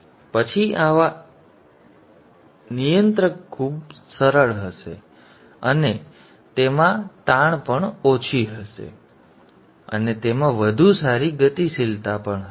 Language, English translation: Gujarati, Then such a controller will be much simpler and it will also have less strain and it will also have better dynamics